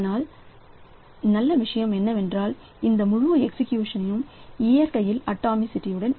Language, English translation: Tamil, But the good thing is that this whole thing is atomic in nature